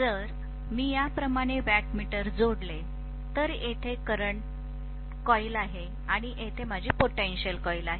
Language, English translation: Marathi, If I connect a wattmeter like this, here is my current coil and here is my potential coil